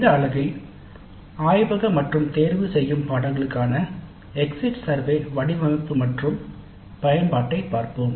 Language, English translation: Tamil, So in this unit we look at the design and use of exit surveys for laboratory and electric courses